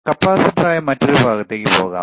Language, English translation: Malayalam, Let us move to the another part which is the capacitor